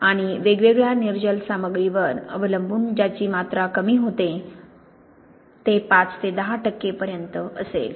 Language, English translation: Marathi, And depending on the different anhydrous material that decrease in volume will be in the range from five to ten percent